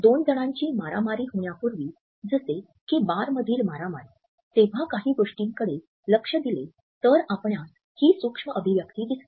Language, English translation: Marathi, If you take a look at two people right before they enter a fight, like a bar fight or something, you will see this micro expression